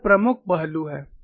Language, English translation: Hindi, So, this is the key aspect